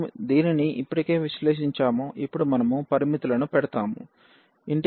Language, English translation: Telugu, We have already evaluated this now we will put the limits